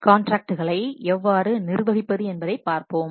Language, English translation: Tamil, Then we will see this contract management, how to manage the contracts